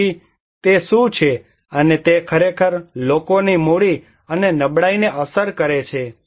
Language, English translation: Gujarati, So, what is and that again actually affects people's capitals and vulnerability